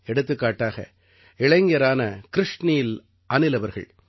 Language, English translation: Tamil, Such as young friend, Krishnil Anil ji